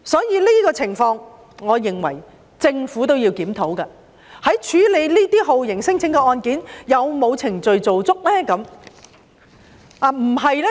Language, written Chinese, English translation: Cantonese, 因此，在這種情況下，我認為政府也必須檢討，究竟在處理酷刑聲請案件時有否做足所有程序？, Hence given the present situation I hold that the Government must review whether it has gone through all the procedures when it processes the torture claims . It should not consider its job done after reducing the outstanding cases to 245